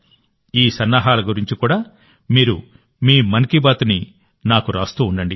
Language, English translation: Telugu, Do keep writing your 'Mann Ki Baat' to me about these preparations as well